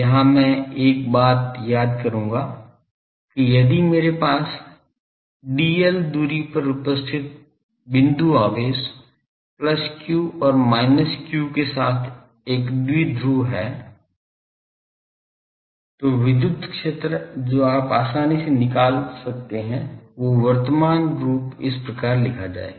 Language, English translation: Hindi, Now, here I will recall one thing that if I have a dipole with point charges plus q and minus q separated by a distance dl, then the electric field you can easily find out that electric field that will be given by this in the present form say